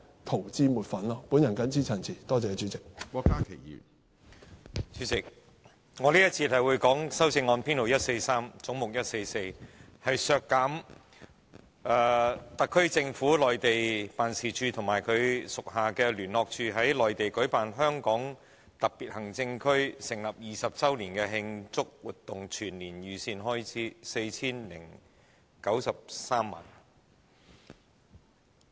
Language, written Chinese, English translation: Cantonese, 主席，在這節辯論時段，我會就有關總目144編號143的修正案發言，其目的是要削減香港特別行政區政府的內地辦事處及其轄下的聯絡辦事處在內地舉辦香港特別行政區成立20周年的慶祝活動的全年預算開支，總額為 4,093 萬元。, Chairman in this debate session I will speak on CSA No . 143 regarding head 144 which aims to reduce the yearly budget of the mainland offices of the Hong Kong Special Administrative Region HKSAR Government and its liaison offices by 40,930,000 in total for celebrating the 20 Anniversary of the Establishment of HKSAR in the Mainland